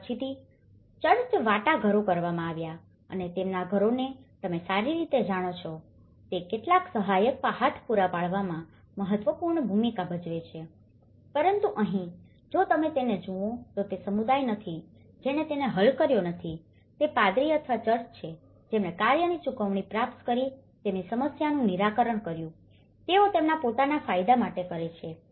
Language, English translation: Gujarati, And then later on, the church play an important role in negotiating and providing certain helping hand to make their houses you know, in a better way but then here, if you look at it, it is not the community who have not solved it, it is the priest or the church who have solved their problems by receiving a payment for the work, they do for their own benefit